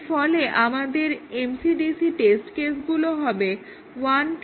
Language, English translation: Bengali, And therefore, our MCDC test case will be 1, 2, 3, 4 and 7